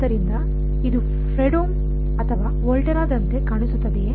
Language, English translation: Kannada, So, does it look like a Fredholm or Volterra